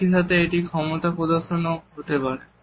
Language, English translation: Bengali, At the same time it can be an assertion of power